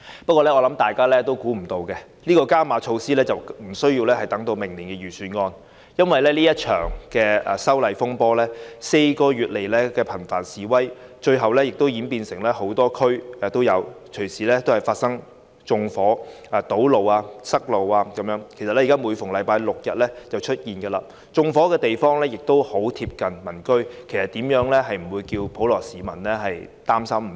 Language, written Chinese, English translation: Cantonese, 不過，我想大家始料不及的是，這些加碼措施無須等到明年的預算案便推出，因為這場修例風波，在過去4個月以來，示威活動頻繁，最後演變成多區示威，更隨時發生縱火、堵塞道路——其實每逢星期六日便會出現——而縱火地點十分鄰近民居，普羅市民怎會不擔心。, Nevertheless I believe no one has ever expected that we do not need to wait until the next years Budget for the introduction of these beefed - up measures . The legislative amendment row has led to frequent outbreaks of demonstrations in the past four months which have finally developed into multi - district demonstrations . Acts of arson and road blockages might occur anytime―in fact these would happen every Saturday and Sunday―and fires were set at locations in close proximity to the residential areas how can members of the general public not feel worried?